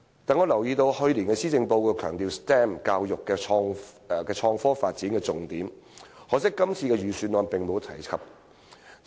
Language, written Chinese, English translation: Cantonese, 我留意到，去年的施政報告強調 STEM 教育是創科發展的重點，可惜今年的預算案並無提及。, I note that last years Policy Address emphasized that STEM education was a focus of IT development . It is a pity that there is no mention of it in this years Budget